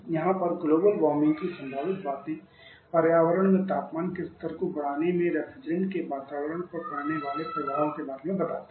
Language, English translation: Hindi, Here the global warming potential talks about the effect the refrigerants may have on the environmental increasing the temperature levels in environment